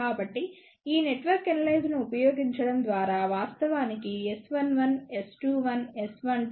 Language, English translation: Telugu, So, by using this network analyzer one can actually measure S 1 1, S 2 1, S 1 2 as well as S 2 2